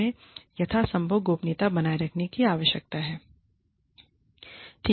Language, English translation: Hindi, We need to be keep maintain, confidentiality, as far as possible